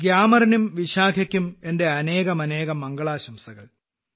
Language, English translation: Malayalam, My best wishes to you Gyamar and Vishakha